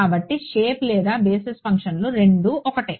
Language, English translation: Telugu, So, shape or basis functions means the same thing